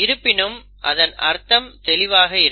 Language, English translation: Tamil, But a meaning of the word is unambiguous